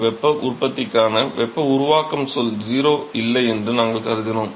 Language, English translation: Tamil, We assumed that there is no heat generation heat generation term is 0